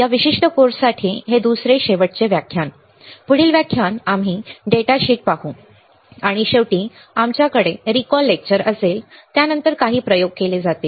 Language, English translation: Marathi, These second last lecture for this particular course, next lecture we will see the data sheet, and finally, we will have a recall lecture follow followed by some experiments